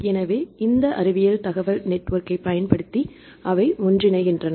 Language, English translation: Tamil, So, they join together using these science information network